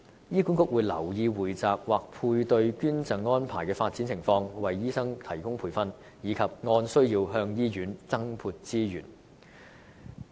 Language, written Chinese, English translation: Cantonese, 醫管局會留意匯集或配對捐贈安排的發展情況、為醫生提供培訓，以及按需要向醫院增撥資源。, HA will pay attention to the development of pooled or paired donation arrangements with a view to providing training for doctors and allocating additional resources to hospitals where necessary